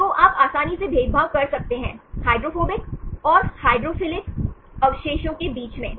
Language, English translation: Hindi, So, you can easily discriminate the hydrophobic and hydrophilic residues with these numbers